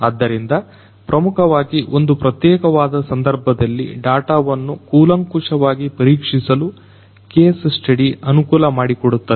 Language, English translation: Kannada, So, basically a case study would enable one to closely examine the data within a particular context